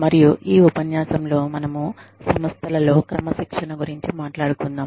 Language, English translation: Telugu, And, in this lecture, we will be dealing with, Discipline in Organizations